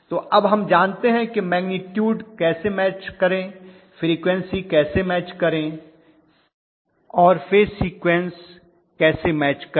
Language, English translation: Hindi, So now we know how to match the magnitude, how to match the frequency and how to match the phase sequence